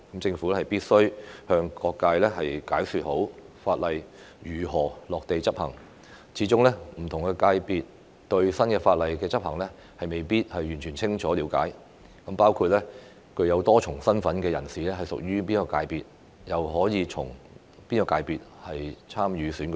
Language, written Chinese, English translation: Cantonese, 政府必須向各界好好解說法例如何落地執行，始終不同界別對新法例的執行未必完全清楚了解，包括具多重身份的人士屬於哪個界別、可以循哪個界別參與選舉等。, The Government must properly explain to all sectors how the legislation will be implemented . After all different sectors may not have a full understanding of the implementation of the new legislation including under which constituency people with multiple capacities fall and through which sector they may participate in election